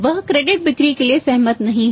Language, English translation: Hindi, He is not agreeing for the credit sales